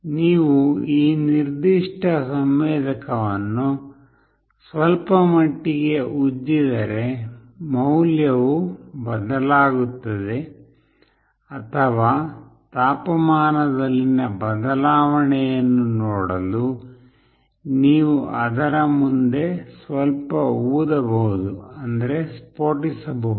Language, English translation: Kannada, If you rub this particular sensor a bit, the value changes or you can just blow a little bit in front of it to see the change in temperature